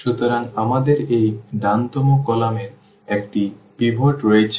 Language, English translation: Bengali, So, we have this right here right most column has a pivot